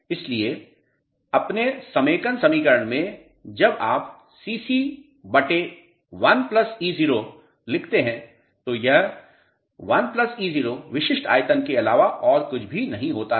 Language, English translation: Hindi, So, in your consolidation equation when you write CC upon 1 plus e naught, so, 1 plus e naught is nothing but a specific volume